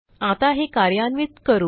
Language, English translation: Marathi, Now let us execute or run it